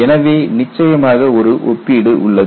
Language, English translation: Tamil, So, there is definitely a comparison